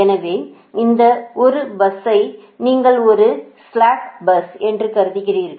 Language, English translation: Tamil, right now you note that bus one is a slack bus, right